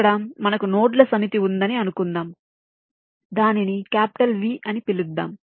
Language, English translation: Telugu, here lets say that we have the set of nodes, lets call it capital v, and m denotes the size of each cluster